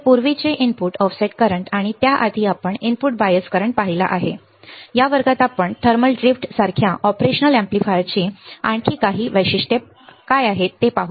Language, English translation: Marathi, So, an earlier input offset current and before that we have seen input bias current, in this class we will see what are the few more characteristics of operational amplifier such as thermal drift